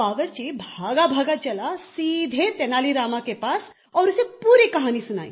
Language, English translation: Hindi, The cook went running directly to Tenali Rama and told him the entire story